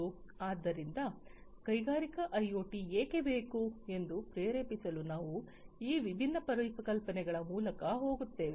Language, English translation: Kannada, So, we will go through these different concepts to motivate why Industrial IoT is required